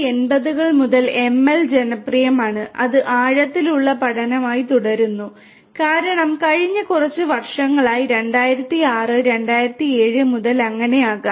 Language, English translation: Malayalam, ML has been popular since the 1980’s, it continues to be and deep learning, since last few years may be 2006, 2007 onwards and so on